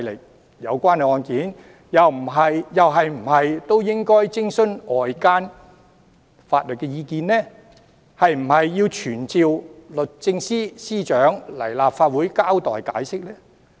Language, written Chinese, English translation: Cantonese, 那麼，有關案件又是否應該徵詢外間法律意見，是否應該傳召律政司司長到立法會交代和解釋呢？, Should outside legal opinion be sought in the cases concerned? . Should the Secretary for Justice be summoned to the Legislative Council to report and explain the cases?